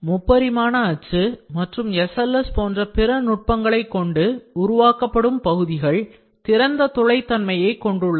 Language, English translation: Tamil, Infiltration others such as 3D printing and SLS generally produce intermediate parts with open porosity